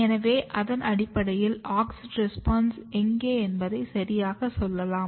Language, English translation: Tamil, So, based on that you tell exactly where is the auxin responses